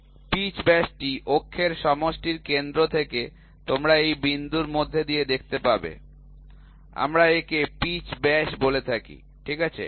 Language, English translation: Bengali, Pitch diameter is from centre of the coaxial of the axis you will see through this point, we call it as the pitch diameter, ok